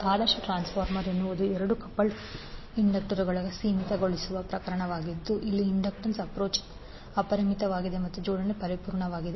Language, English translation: Kannada, That ideal transformer is the limiting case of two coupled inductors where the inductance is approach infinity and the coupling is perfect